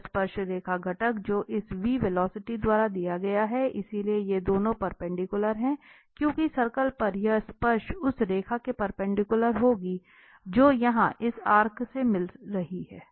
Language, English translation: Hindi, So, the tangential component which is given by this velocity v, so, these two are perpendicular because this tangent on the circle will be perpendicular to the line which is meeting to this arc here